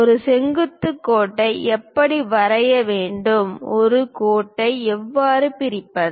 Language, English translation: Tamil, How to draw perpendicular line, how to divide a line